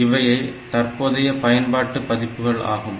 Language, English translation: Tamil, So, that are the current versions that we have